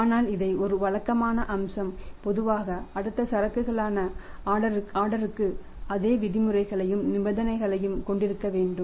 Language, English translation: Tamil, But do not take it as a regular feature and we would normally for the next consignment you ask your order for you will have to have the same terms and conditions